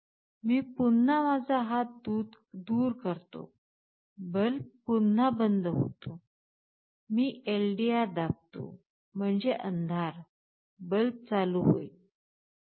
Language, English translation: Marathi, I again remove my hand the bulb is switched OFF again, I press the LDR; that means, darkness the light is switched ON